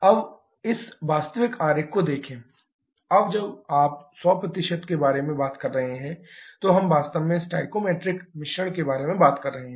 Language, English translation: Hindi, Now, look at this actual diagram, now when you are talking about 100%, we actually talking about the stoichiometric mixture